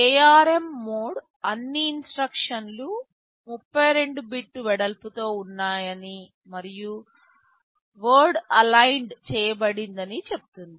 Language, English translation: Telugu, ARM mode says that all instructions are 32 bit wide and their word aligned